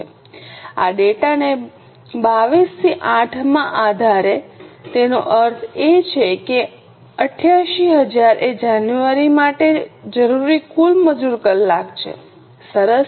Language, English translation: Gujarati, Based on this data 22 into 8 that means 88,000 are the total labour hour required for January